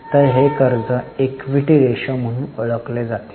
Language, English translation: Marathi, So, this is known as debt equity ratio